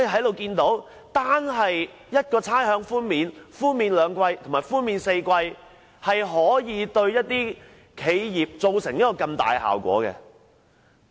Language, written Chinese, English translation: Cantonese, 由此可見，差餉寬免兩季或4季，對企業可造成如此巨大的分別。, Obviously the option between two quarters and four quarters of rates concessions can make such a huge difference to enterprises